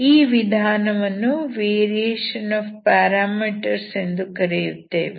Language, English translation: Kannada, This is a method of variation of parameters